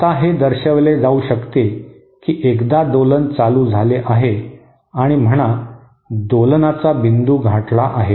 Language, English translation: Marathi, Now it can be shown you know so once so the oscillation has started and say the point of oscillation has been reached